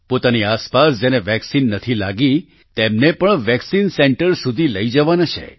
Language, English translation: Gujarati, Those around you who have not got vaccinated also have to be taken to the vaccine center